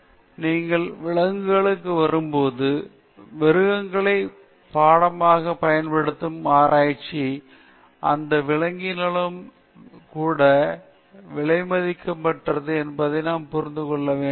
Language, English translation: Tamil, So, but when you come to animals, research where animals are used as subjects, there again, we have to understand that animal life is also precious